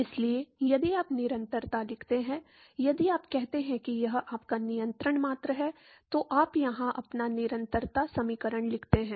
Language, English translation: Hindi, So, if you write continuity, if you say this is your control volume you write your continuity equation here